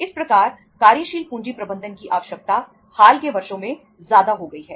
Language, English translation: Hindi, The need of efficient working capital management has thus become greater in the recent years right